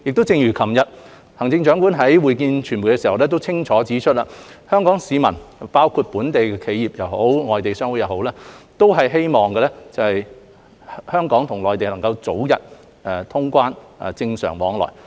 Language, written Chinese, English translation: Cantonese, 正如行政長官昨日在會見傳媒時清楚指出，香港市民包括本地企業以至外國商會都希望香港能與內地早日通關和恢復正常往來。, As the Chief Executive clearly pointed out at the media session yesterday members of the public as well as both local enterprises and foreign chambers of commerce very much look forward to the early resumption of normal flow of people between Hong Kong and the Mainland